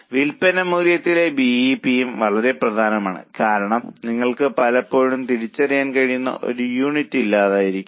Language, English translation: Malayalam, Now, BEP in sales value is also very important because many times you may not have an identifiable unit